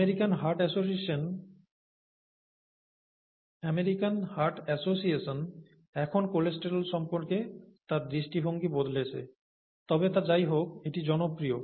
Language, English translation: Bengali, People have, The American Heart Association has changed its view on cholesterol now, but it is popular anyway